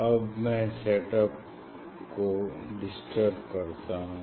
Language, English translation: Hindi, now I will disturb the set up